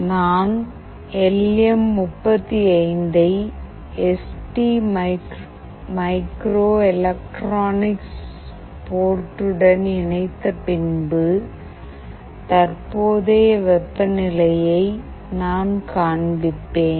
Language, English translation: Tamil, I will be connecting LM35 with ST microelectronics port and then I will be displaying the current temperature